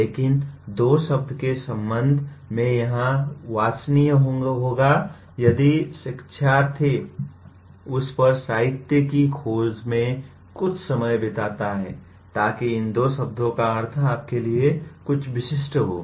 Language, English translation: Hindi, But regarding thess two words it will be desirable if the learner spends some amount of time exploring the literature on that so that these two words mean something specific to you